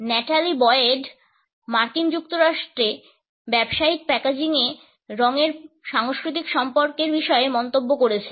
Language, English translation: Bengali, Natalie Boyd has commented on the cultural associations of color in business packaging in the United States